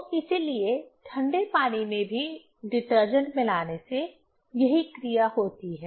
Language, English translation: Hindi, So, that is why adding detergent even in cold water, it has the same action